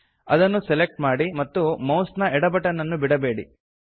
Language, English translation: Kannada, Select it, and do not release the left mouse button